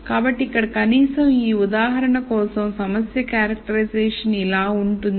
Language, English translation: Telugu, So, here at least for this example the problem characterization goes like this